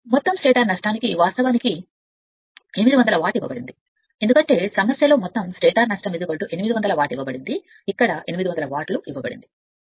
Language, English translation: Telugu, Total stator loss is given actually 800 watt because in the problem it is given the total stator loss is equal to 800 watt here it is given 800 watt right